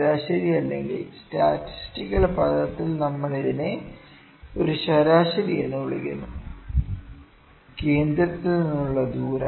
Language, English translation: Malayalam, This is average, average or in statistical term we call it a mean, the distance from centre